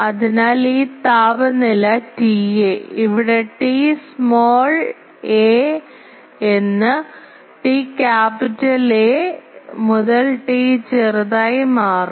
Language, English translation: Malayalam, So, this temperature T A will be change here to something called T small a from T capital A to T small a some other temperature